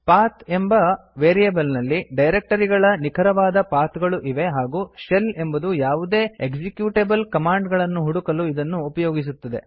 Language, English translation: Kannada, The PATH variable contains the absolute paths of the directories that the shell is supposed to search for locating any executable command